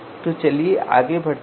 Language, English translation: Hindi, So let us move forward